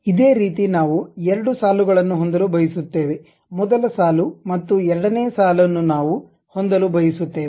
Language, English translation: Kannada, Similar way we would like to have two rows, first row and second row we would like to have